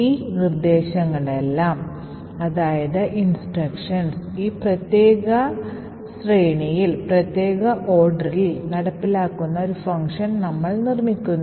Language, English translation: Malayalam, We build a function that executes all of these instructions in this particular sequence